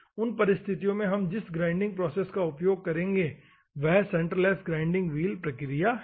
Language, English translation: Hindi, In those circumstances, the grinding process that we will use is a centreless grinding wheel process